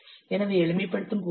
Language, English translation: Tamil, So on simplification you will get 1